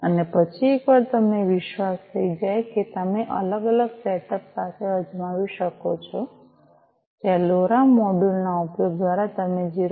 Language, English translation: Gujarati, And then once you are confident you could try out with different other you know other setups where through the use of LoRa module you would be sending the data from 0